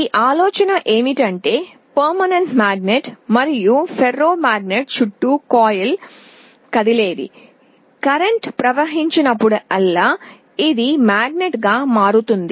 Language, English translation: Telugu, There is a permanent magnet and the coil around the ferromagnet is movable, whenever there is a current flowing this will become a magnet